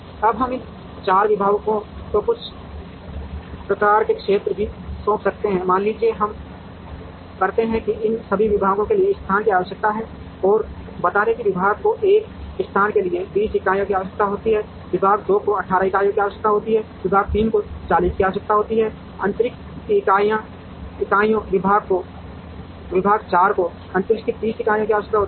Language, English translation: Hindi, Now, we might also assign some kind of areas to these 4 departments, suppose we say that after all these departments require space and let us say the department 1 requires 20 units of space, department 2 requires 18 units of space, department 3 requires 40 units of space, department 4 requires 30 units of space